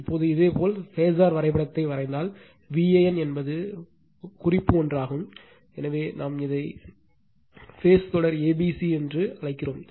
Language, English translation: Tamil, Now, if you draw the phasor diagram, then V a n is the reference one, so we call this is the phase sequence is a b c